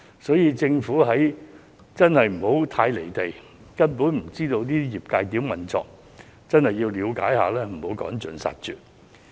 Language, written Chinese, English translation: Cantonese, 所以，政府真的不應該太離地，以致不知道業界如何運作，政府真的要了解一下，不要把他們趕盡殺絕。, Therefore to be honest the Government should not remain so detached from reality that it has no idea how the industry runs . It should really be better informed and not drive them completely out of business